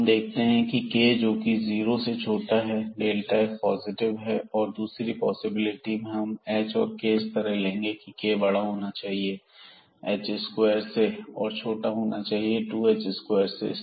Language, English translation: Hindi, So, here we have seen that for k less than 0 delta f is positive and in the other possibilities, we will choose our h and k such that; the k is bigger than h square and less than 2 h square